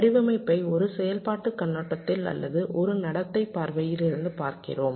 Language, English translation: Tamil, we are looking at the design from either a functional point of view or from a behavioural point of view